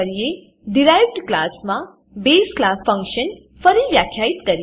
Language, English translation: Gujarati, The derived class function overrides the base class function